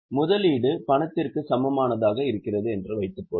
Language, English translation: Tamil, Suppose the investment is in cash equivalent